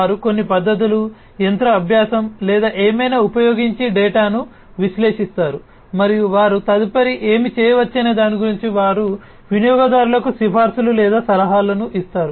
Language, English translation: Telugu, They analyze the data using certain techniques maybe, you know, machine learning or whatever and they will be making recommendations or suggestions to the user about what they could do next, alright